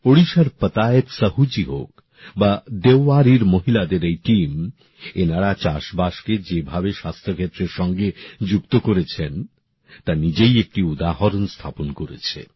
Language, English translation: Bengali, Whether it is Patayat Sahu ji of Odisha or this team of women in Deori, the way they have linked agriculture with the field of health is an example in itself